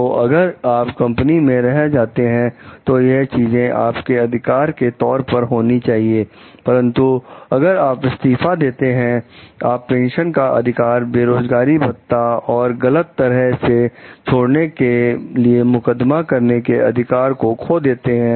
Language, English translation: Hindi, So, if you remain, so these are the things that which are there as a part of your rights; but if you are resigning, you lose pension rights, unemployment compensation, and right to sue for improper discharge